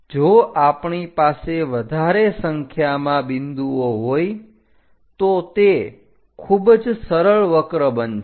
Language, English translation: Gujarati, If we have more number of points, it will be very smooth curve